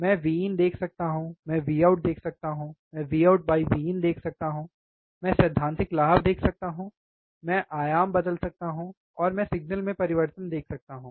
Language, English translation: Hindi, I can see V in I can see V out I can see V out by V in, I can see theoretical gain, I can change the amplitude, and I can see the change in signal